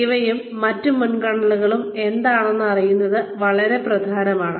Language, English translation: Malayalam, So, knowing what these, other priorities are, is very important